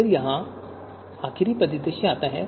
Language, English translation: Hindi, Then comes the last scenario here